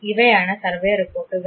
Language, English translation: Malayalam, These are the survey reports